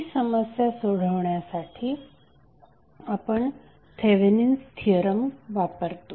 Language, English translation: Marathi, So to solve that problem we use the theorem called Thevenin’s theorem